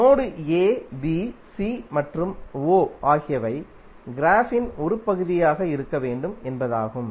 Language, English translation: Tamil, It means that node a, b, c and o should be part of the graph